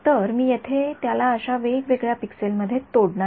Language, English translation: Marathi, So, I am going to chop it up into various such pixels over here